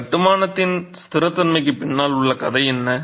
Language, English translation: Tamil, What is the story behind the stability of this construction